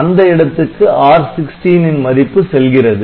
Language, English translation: Tamil, So, whatever be the value of R16